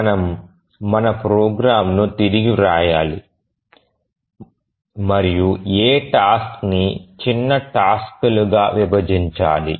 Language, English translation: Telugu, We need to bit of rewrite our program and we need to split this task into smaller tasks